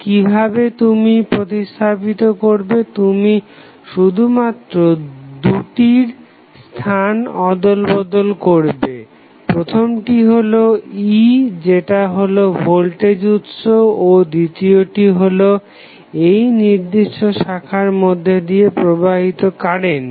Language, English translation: Bengali, So, how you will replace you will just switch the locations of both of the, the parameters 1 is E that is voltage source and second is current flowing in this particular branch